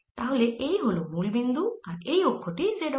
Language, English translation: Bengali, so this is the origin and its axis being the z axis